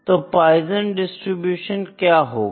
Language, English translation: Hindi, So, what is Poisson distribution